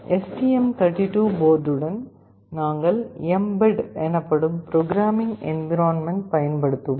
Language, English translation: Tamil, With the STM32 board, we will be using a programming environment called mbed